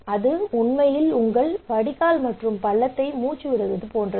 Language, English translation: Tamil, But also it is actually choking your drain and gutter